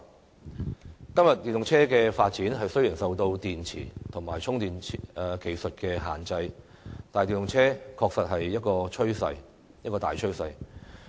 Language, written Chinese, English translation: Cantonese, 雖然今天電動車的發展受到電池及充電技術的限制，但電動車確實是一種大趨勢。, Although the development of EVs is restricted by battery and charging technologies EVs are indeed a dominant trend